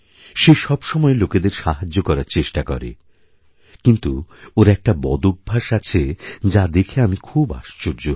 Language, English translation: Bengali, She always tries to help others, but one habit of hers amazes me